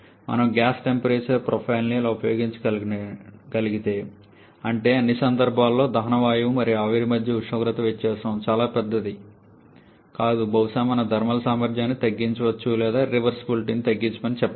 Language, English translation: Telugu, If we can use a gas temperature profile something like this, that is in all cases the temperature difference between the combustion gas and the steam is not very large then probably we can reduce the thermal efficiency or I should say reduce the irreversibilities